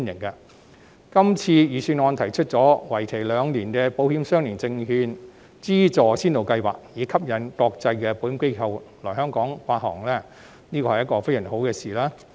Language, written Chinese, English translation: Cantonese, 這份預算案提出為期兩年的保險相連證券資助先導計劃，以吸引國際保險機構來香港發行保險相連證券，是非常好的事。, This Budget proposes a two - year Pilot Insurance - linked Securities Grant Scheme to attract international insurance organizations to issue insurance - linked securities in Hong Kong which is very good